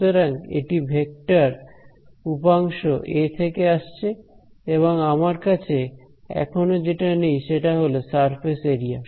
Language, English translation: Bengali, So, this is the vector component coming from A and I need the only thing missing is now what the surface area